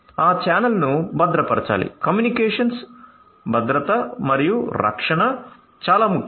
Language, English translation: Telugu, So, that channel itself has to be secured so communications security and protection is very important